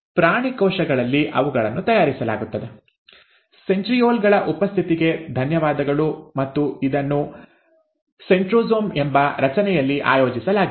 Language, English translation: Kannada, In animal cells, they are made, thanks to the presence of centrioles, and it is organized in a structure called centrosome